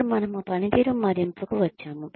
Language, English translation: Telugu, Now, we come to performance appraisal